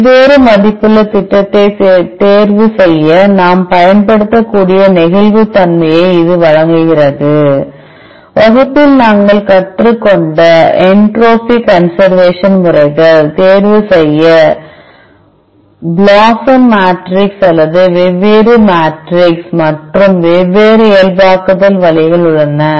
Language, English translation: Tamil, It provides a lot of flexibility we can use choose different weighting scheme and the entropy conservation methods which we learnt in the class and, we can also choose blosum matrix or different matrix and, different normalization ways